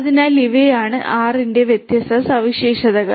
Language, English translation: Malayalam, So, these are the different features of R